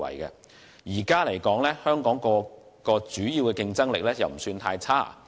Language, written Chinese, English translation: Cantonese, 目前來說，香港各項主要競爭力均不算太差。, At present the major competitiveness of Hong Kong is not too bad